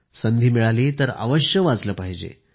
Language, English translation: Marathi, Given an opportunity, one must read it